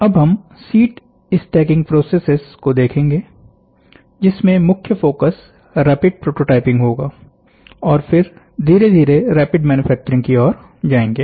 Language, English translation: Hindi, So, now, we will see sheet stacking processes where in which are prime focus is first to make rapid prototyping and from there towards rapid manufacturing